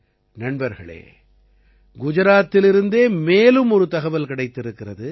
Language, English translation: Tamil, Friends, another piece of information has come in from Gujarat itself